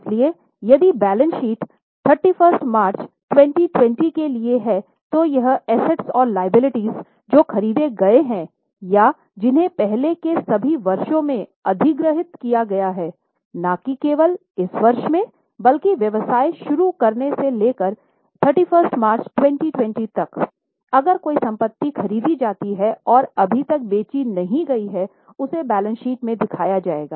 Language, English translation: Hindi, So, if the balance sheet is for 31st March 2020, it will give the assets and liabilities which are purchased or which are acquired in all the earlier years, not just this year, right from the starting of the business till 31 March 2020 if any asset is purchased and not yet sold, it will be shown in the balance sheet